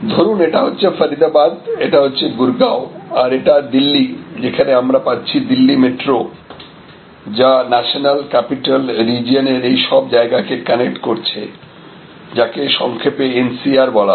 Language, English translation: Bengali, So, this is say Faridabad this would be Gurgaon, this can be Delhi and this met Delhi metro as it is called this now, connecting all these places of the national capital region know as NCR is short